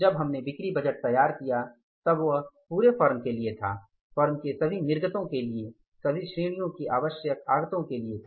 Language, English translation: Hindi, When we prepared the purchase budget that was prepared for the firm as a whole for all category of the inputs required for the all outputs of the firm